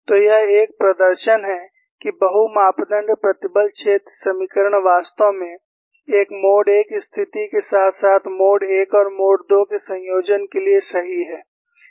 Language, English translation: Hindi, So, this is a demonstration that the multi parameters stress field equations are indeed correct for a mode 1 situation, as far as a combination of mode 1 and mode 2